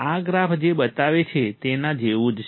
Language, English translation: Gujarati, This is similar to what this graph shows